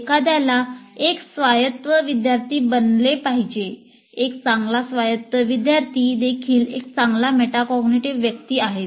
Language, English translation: Marathi, A good autonomous learner is also a good metacognitive person